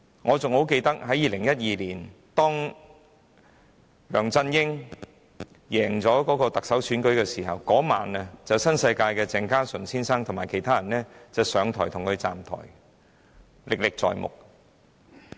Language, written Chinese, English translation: Cantonese, 我十分記得，梁振英在2012年勝出行政長官選舉時，當晚新世界的鄭家純先生和其他人便為他"站台"，現在還歷歷在目。, I remember vividly that when LEUNG Chun - ying won the Chief Executive Election in 2012 on the very same night Mr Henry CHENG of NWD and others stood with him on the stage in the rally to show support